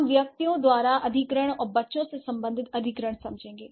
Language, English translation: Hindi, We would understand that the acquisition by individuals and here acquisition related to the children